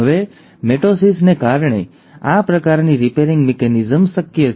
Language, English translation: Gujarati, Now this kind of a repair mechanism is possible because of mitosis